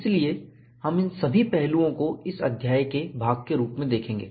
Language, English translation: Hindi, So, we will see all these aspects, as part of this chapter